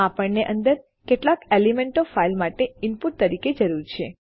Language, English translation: Gujarati, Well need some elements inside as input for our file